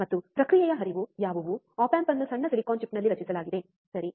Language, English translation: Kannada, And what are the process flow, the op amp is fabricated on tiny silicon chip, right